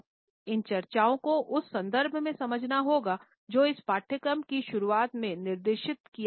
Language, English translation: Hindi, These discussions have to be understood in the context which has been specified in the very beginning of this course